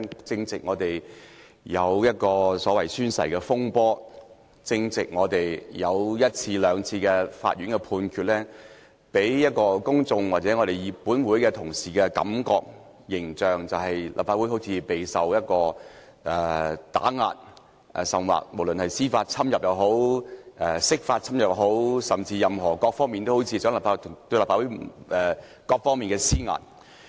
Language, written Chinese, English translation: Cantonese, 最近發生宣誓風波，法院亦已作出判決，或許會給予公眾或本會同事一種感覺或印象，認為立法會備受打壓，甚至受到司法侵入或釋法侵入，各方面好像都向立法會施壓。, The recent oath - taking fiasco and the judgment passed by the Court may have given the public or my Honourable colleagues the feeling or impression that the Legislative Council has been subjected to oppression or even judicial intervention or interference caused by a Basic Law interpretation . The Legislative Council seems to have come under pressure from all sides